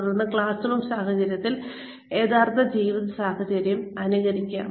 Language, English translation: Malayalam, Then, simulate the real life situation, within the classroom situation